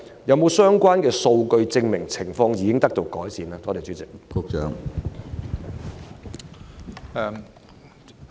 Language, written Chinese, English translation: Cantonese, 有否相關數據證明情況已經得到改善？, Is there relevant data to prove the improvement of the situation?